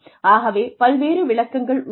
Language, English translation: Tamil, So, various definitions